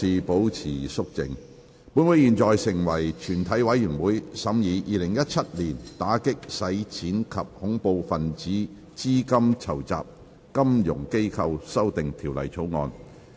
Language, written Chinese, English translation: Cantonese, 本會現在成為全體委員會，審議《2017年打擊洗錢及恐怖分子資金籌集條例草案》。, Council now becomes committee of the whole Council to consider the Anti - Money Laundering and Counter - Terrorist Financing Amendment Bill 2017